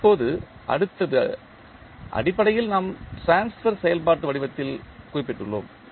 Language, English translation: Tamil, Now, next is to basically we have represented in the form of transfer function